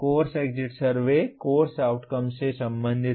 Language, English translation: Hindi, The course exit survey is related to the course outcomes